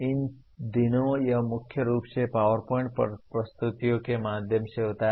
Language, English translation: Hindi, These days it is mainly through PowerPoint presentations